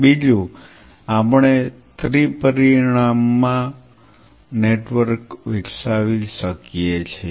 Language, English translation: Gujarati, Second we may off for developing network in 3 dimension